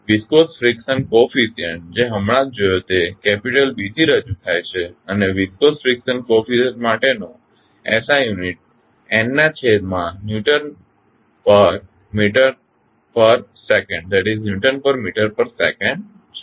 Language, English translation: Gujarati, Viscous friction coefficient with just saw it is represented with capital B and the SI unit for viscous friction coefficient is n by Newton per meter per second